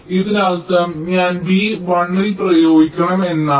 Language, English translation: Malayalam, this means that i have to apply a one in b